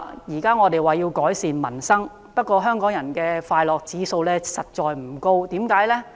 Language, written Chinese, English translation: Cantonese, 現在政府要改善民生，不過香港人的快樂指數實在不高，為何呢？, The Government wants to improve peoples livelihood . But Hong Kong people have a low score in happiness index . Why?